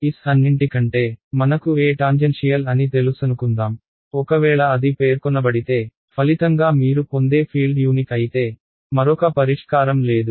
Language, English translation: Telugu, Supposing I know E tangential over all of S ok; if that is specified then whatever you get as the result of a calculation the fields they are unique, there is no other solution that is correct ok